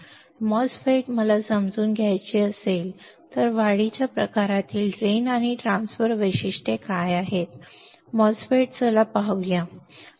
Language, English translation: Marathi, MOSFET I want to understand what is the drain and transfer characteristics of an enhancement type MOSFET let us see let us see